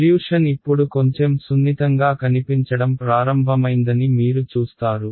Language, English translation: Telugu, You see that the solution is beginning to look a little bit smoother now right